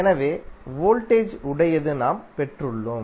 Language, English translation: Tamil, So that is what we have derived for voltage